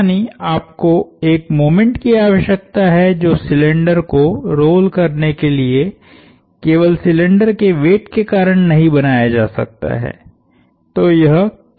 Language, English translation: Hindi, That is, you need a moment which cannot be created by the weight of the cylinder itself to cause the cylinder to roll